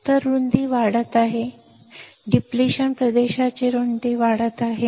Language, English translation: Marathi, So, the width is increasing, the width of depletion region is increasing